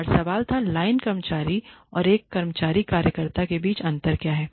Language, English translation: Hindi, And the question was: what is the difference between line worker and a staff worker